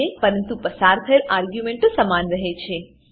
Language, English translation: Gujarati, But the arguments passed are same